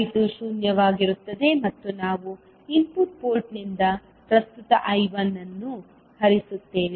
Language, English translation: Kannada, I2 will be zero and we will have current I1 flowing from the input port